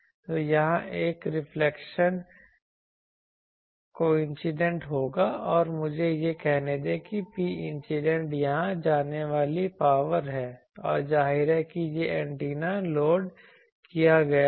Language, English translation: Hindi, So, here there will be a reflection coefficient and let me say that P incident is the power going here and obviously this antenna is as will be load